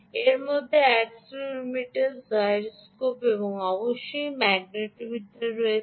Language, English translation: Bengali, this is includes accelerometer, accelerometer, ah, gyroscope and, of course, magnetometer